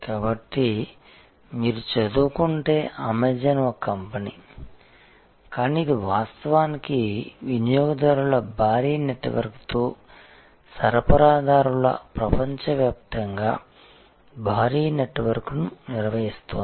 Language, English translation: Telugu, So, Amazon if you study is a company which is a company, but it is actually mastering a huge network across the globe of suppliers with a huge network of customers